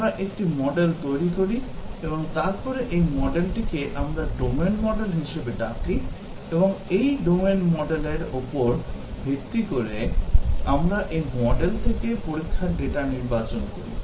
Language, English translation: Bengali, We construct a model and then this model, we call as the domain model and based on this domain model, we select test data from this model